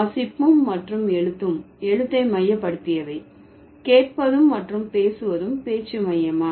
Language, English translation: Tamil, So, reading and writing are script centric, listening and speaking, they are speech centric, right